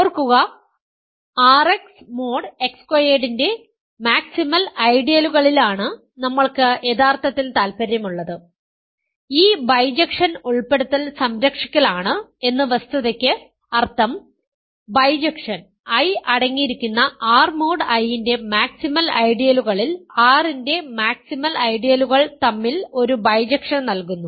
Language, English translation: Malayalam, Remember, we are actually interested in maximal ideals of R X mod X squared, the fact that this bijection is inclusion preserving means, the bijection also gives a bijection between maximal ideals of R that contain I in the maximal ideals of R mod I